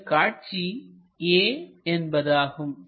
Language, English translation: Tamil, let us call that point a